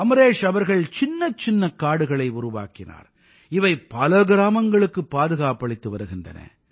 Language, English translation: Tamil, Amreshji has planted micro forests, which are protecting many villages today